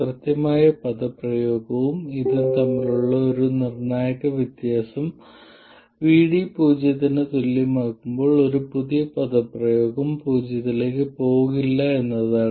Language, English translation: Malayalam, One crucial difference between the exact expression and this is that our new expression does not go to 0 when VD equals 0